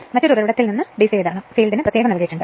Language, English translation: Malayalam, You have from a different source DC supply separately is given to your field